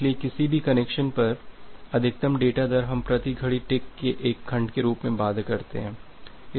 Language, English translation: Hindi, So, the maximum data rate on any connection we bound it as one segment per clock tick